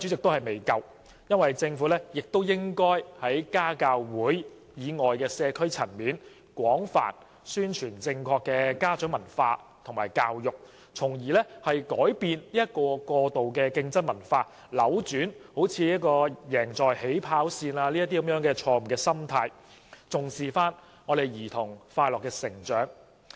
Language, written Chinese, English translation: Cantonese, 我認為政府應該在家教會以外的社區層面，廣泛宣傳正確的家長文化和教育，從而改變過度競爭的文化，扭轉例如"贏在起跑線"的錯誤心態，重視兒童的快樂成長。, In my opinion the Government should publicize correct parent culture and education on an extensive scale at the community level beyond PTAs with a view to changing the culture of excessive competition reversing parents incorrect mindset such as winning at the starting line and emphasizing happy growth of children